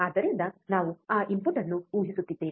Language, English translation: Kannada, So, in what we are assuming that input